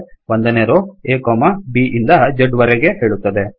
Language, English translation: Kannada, The first row says a, b up to z